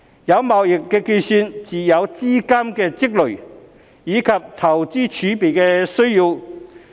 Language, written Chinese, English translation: Cantonese, 有貿易結算才會有資金的積累，以及投資儲備的需要。, Only trade settlement will give rise to the accumulation of capital as well as the need for investment reserves